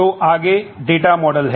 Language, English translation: Hindi, So, next is data models